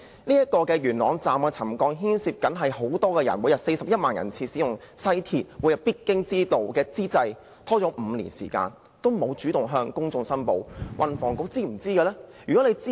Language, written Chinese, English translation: Cantonese, 元朗站橋躉沉降牽涉很多乘客，因為每天有41萬人次使用西鐵，是他們每天必經之路，但當局拖延5年時間也沒有主動向公眾公布。, With a daily patronage of 410 000 for the West Rail Line the settlement of the viaduct piers of Yuen Long Station will affect many passengers . Commuters simply cannot skip this station . Yet the authorities have delayed informing the public of the settlement until five years later